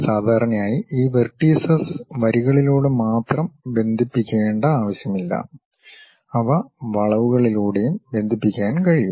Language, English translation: Malayalam, And, usually it is not necessary that we have to connect these vertices only by lines, they can be connected by curves also